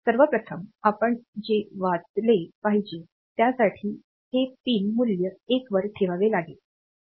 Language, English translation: Marathi, So, first of all, so we have to read this, we have to put this pin value to 1